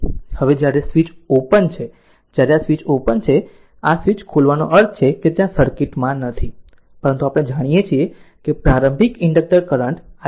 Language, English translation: Gujarati, Now when switch is open now when this switch is open, your this is open this is open right, this switch is open means this is gone this is not there in the circuit, but we know the initial current the inductor i 0 is equal to 2 ampere